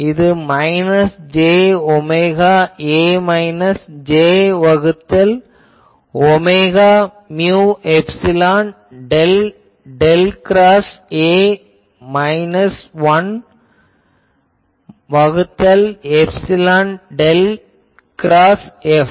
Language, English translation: Tamil, So, that will be minus j omega A minus j by omega mu epsilon del del cross A minus 1 by epsilon del cross F